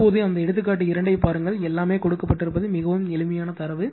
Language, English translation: Tamil, Now, you see that example 2, it is very simple data everything is given